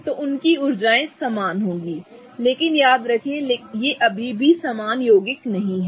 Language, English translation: Hindi, So, their energies will be same but remember these are still not the same compounds